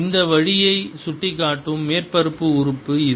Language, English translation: Tamil, this is the surface element, pointing out this way the inside, this volume